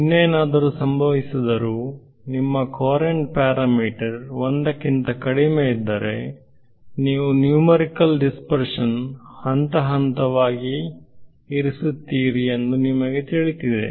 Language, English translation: Kannada, Whatever else happens, you know that if your courant parameter is less than 1 you will phase numerical dispersion